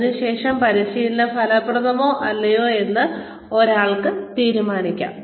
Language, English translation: Malayalam, And then, one can decide, whether the training has been effective or not